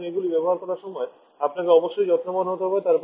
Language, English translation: Bengali, So you have to be careful while using them